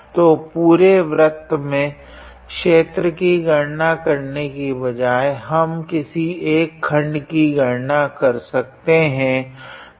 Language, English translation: Hindi, So, instead of calculating the area in the whole in the whole circle, we can actually calculate in one of the halves actually